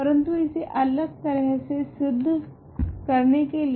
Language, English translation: Hindi, But in order to prove this in a different way